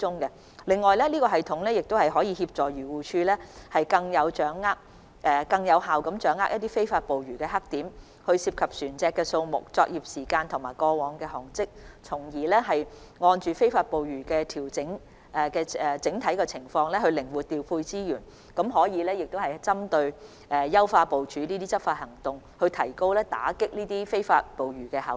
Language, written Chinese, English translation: Cantonese, 此外，這系統亦可協助漁護署更有效掌握非法捕魚黑點、涉及船隻數目、作業時間，以及過往航跡，從而就非法捕魚的整體情況靈活調配資源，更可作出針對性的執法行動部署，提高打擊非法捕魚的效率。, Moreover this system can help AFCD grasp more effectively illegal fishing black spots the number of vessels involved time of operation and past tracks so as to flexibly allocate resources in light of the overall situation of illegal fishing and make targeted preparations for enforcement actions to enhance the efficiency of combating illegal fishing